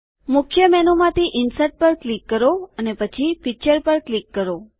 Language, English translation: Gujarati, Click on Insert from the Main menu and then click on Picture